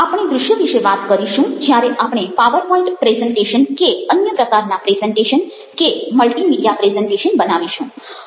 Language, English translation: Gujarati, we will talk about visuals when we are making power point presentation or presentations of any kind, multimedia presentations